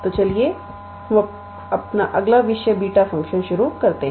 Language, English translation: Hindi, So, let us start our next topic beta function